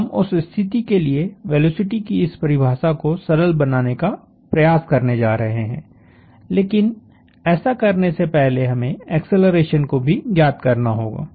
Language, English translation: Hindi, So, this gives us, so, we are going to try to simplify this definition of the velocity for that case, but before we do that we are having to also to find an acceleration